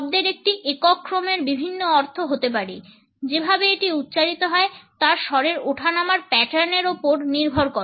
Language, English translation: Bengali, A single sequence of words can have different meanings depending on the tone pattern with which it is spoken